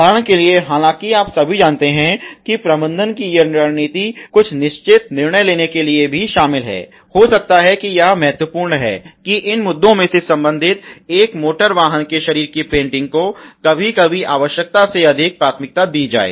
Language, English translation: Hindi, For example, all though you know sometime these strategy of the management is also involve to make fallen certain decision, may be it is a very important that these a issues related to that is the painting of the body of an automotive is given priority over functional requirement sometimes